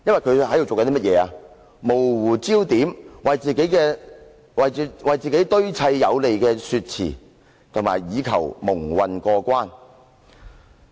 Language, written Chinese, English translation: Cantonese, 他模糊焦點，為自己堆砌有利說辭，以求蒙混過關。, He blurred the focus of the inquiry and presented arguments favourable to himself in order to muddle through